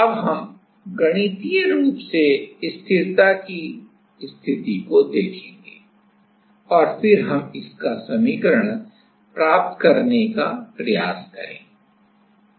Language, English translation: Hindi, Now, we will see this condition; the stability condition mathematically and then, we will try to derive the equation